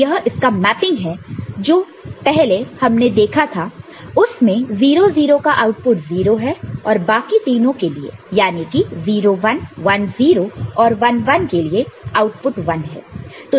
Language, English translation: Hindi, So, this is what we can see as going as a mapping and the one that we had seen before 0 0 it is 0 and rest of the three 0 1 it is 1, 1 0 this is 1 and 1 1 this is 1, this we have already seen